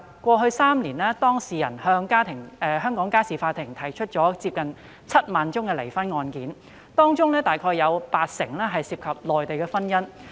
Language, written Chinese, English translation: Cantonese, 過去3年，當事人向香港家事法庭提出近7萬宗離婚案件，當中約八成涉及內地婚姻。, In the past three years the number of divorce cases filed in the Family Court of Hong Kong was nearly 70 000 80 % of them involved cross - boundary marriages